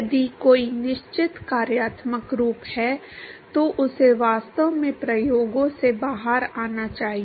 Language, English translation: Hindi, If there is a certain functional form, it should actually come out of the experiments